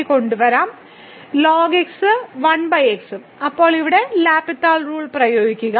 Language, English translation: Malayalam, So, and 1 over x and now apply the L’Hospital rule here